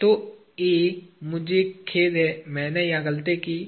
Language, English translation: Hindi, So, A; I am sorry, I made a mistake here